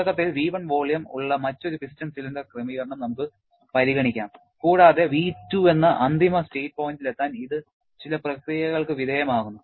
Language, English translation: Malayalam, Let us consider another piston cylinder arrangement which is initially at a volume V1 and it is undergoing some process to reach a final state point of V2